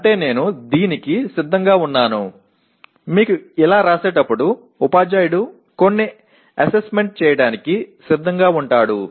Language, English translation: Telugu, That means I am willing to that is when you write like this, the teacher is willing to have some assessments